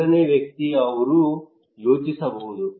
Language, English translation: Kannada, A third person, he may think